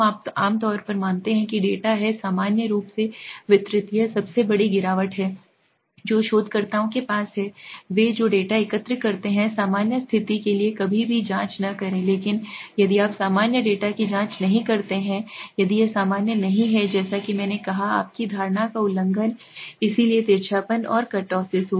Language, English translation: Hindi, We usually assume that data is normally distributed this is the biggest fallacy that the researchers have, they collect the data they never check for normalcy, but if you do not check for normalcy your data if it is not normal then your violating the assumption, okay, so skewness and kurtosis as I said